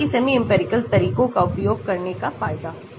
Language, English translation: Hindi, so that is the advantage of using semi empirical methods